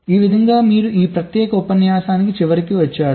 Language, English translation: Telugu, you comes to the end of this particular lecture